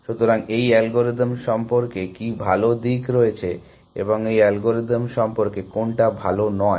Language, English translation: Bengali, So, what is good about this algorithm and what is not good about this algorithm